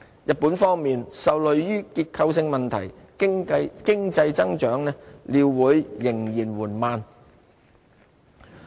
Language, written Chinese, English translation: Cantonese, 日本方面，受累於結構性問題，經濟增長料會仍然緩慢。, In Japan growth is expected to stay weak because of structural problems in its economy